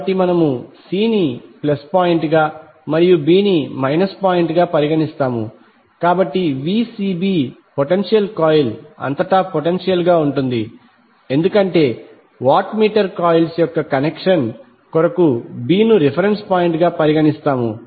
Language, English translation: Telugu, So we will consider the c s plus point and b s minus so Vcb will be the potential across the potential coil because we consider b as a reference point for the connection of the watt meter coils